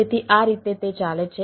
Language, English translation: Gujarati, so this is the way it goes on